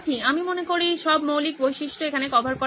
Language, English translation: Bengali, I think all the basic features are covered here